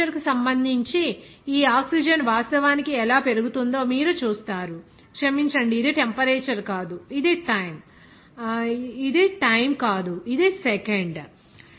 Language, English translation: Telugu, Then you will see that how this oxygen is actually increasing with respect to temperature, sorry it is not temperature, it is time, sorry this is time, this is in second